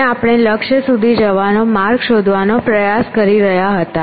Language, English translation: Gujarati, And we were trying to find a path to the goal